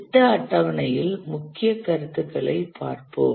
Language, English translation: Tamil, Let's look at the main concepts in project scheduling